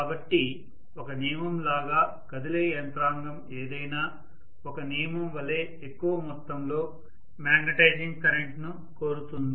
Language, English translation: Telugu, So as a rule any moving mechanism is going to demand more amount of magnetizing current as a rule, right